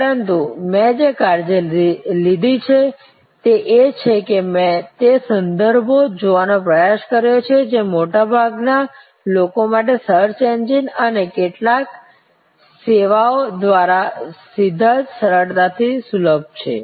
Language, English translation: Gujarati, But, what I have taken care is that, I have tried to sight those references which are readily accessible to most people directly through the search engines and some of the services